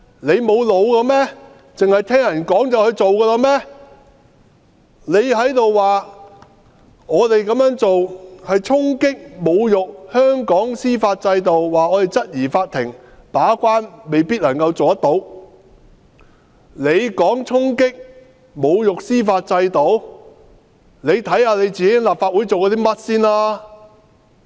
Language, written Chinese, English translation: Cantonese, 你說我們這樣做是衝擊及侮辱香港的司法制度，指我們質疑法庭未必能做好把關。那麼你先看看自己在立法會做過甚麼？, Please review what you have done in the Legislative Council before accusing us of hitting and insulting Hong Kongs judicial system by raising doubts over the gate - keeping role of the court